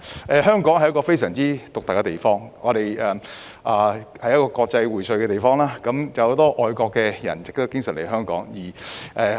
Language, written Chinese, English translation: Cantonese, 香港是非常獨特的地方，是國際薈萃的地方，很多外國人士經常來港。, Hong Kong is a very unique place . It is an international place frequently visited by many foreign people